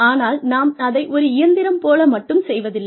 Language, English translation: Tamil, But, we do not just do it, like a machine